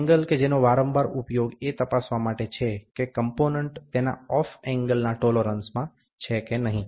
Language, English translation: Gujarati, A frequent use of angle gauge is to check, whether the component is within its off angle tolerance